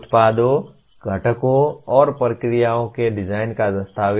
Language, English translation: Hindi, Document the design of products, components, and processes